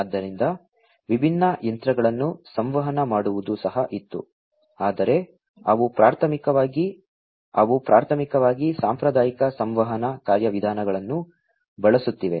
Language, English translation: Kannada, So, communicating different machines have also been there, but those have been primarily, those have been primarily using the conventional communication mechanisms